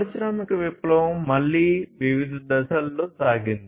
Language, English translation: Telugu, So, the industrial revolution again went through different stages